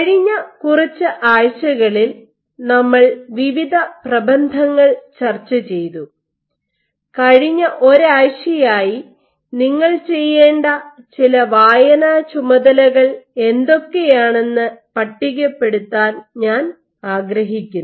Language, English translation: Malayalam, In the past few weeks; in the past few weeks we have discussed various papers I would like to list what are some reading assignments that you would have to do for the last one week